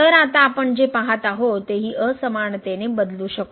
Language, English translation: Marathi, So, what we see now we can replace this equality by the inequality